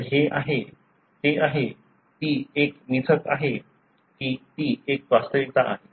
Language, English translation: Marathi, So, this is the, is it, is it a myth or is it a reality